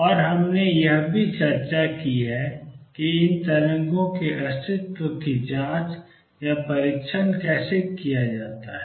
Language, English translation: Hindi, And we have also discussed how to check or test for the existence of these waves